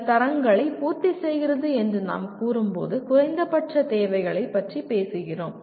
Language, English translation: Tamil, When we say fulfils certain standards, you are talking about minimum requirements